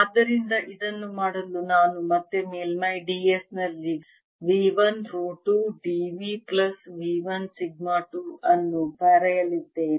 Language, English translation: Kannada, so to do this, i am again going to write v one row two, d v plus v one